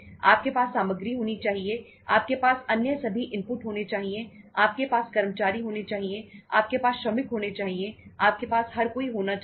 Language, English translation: Hindi, You should have material, you should have all other inputs, you should have employees, you should have workers on the plant, everybody